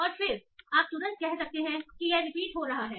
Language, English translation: Hindi, And then you can immediately say that this is repeating